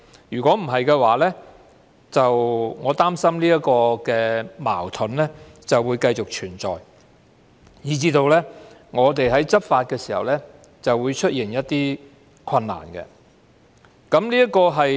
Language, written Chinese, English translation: Cantonese, 如果不會，我擔心這個矛盾會繼續存在，以致當局在執法時會出現困難。, If he will not do so I am concerned that this inconsistency will continue to exist and become an obstacle to law enforcement in the future